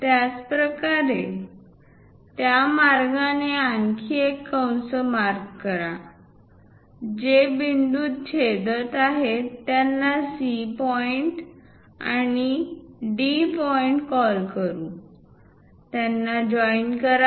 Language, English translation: Marathi, Similarly, mark another arc in that way; whatever the points are intersecting, let us call C point and D point; join them